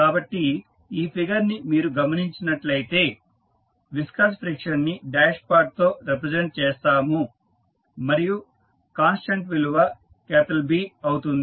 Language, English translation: Telugu, So, if you see this figure we represent the viscous friction with the dashpot and the constant value is B